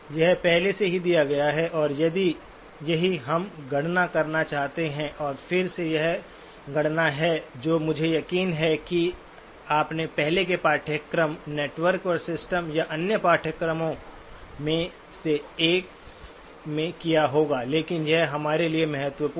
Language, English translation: Hindi, This is already given and this is what we want to compute, and again this is a computation that I am sure you would have done in one of the earlier courses, networks and systems or one of the other courses but it is important for us